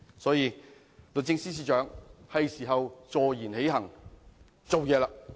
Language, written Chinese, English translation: Cantonese, 因此，律政司司長，是時候坐言起行，採取行動！, Hence Secretary for Justice it is time to put words into deeds and take action!